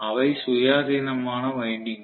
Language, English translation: Tamil, They are independent windings